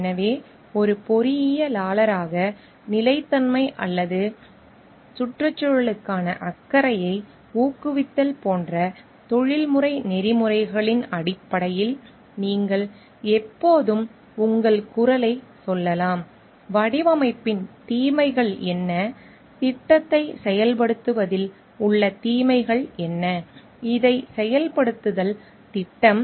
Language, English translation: Tamil, So, based on the professional ethics of like promoting sustainability or concern for environment as an engineer, you can always sound your voice telling: what are the cons part of the design, what are the cons part of the implementation of the project, implementing this project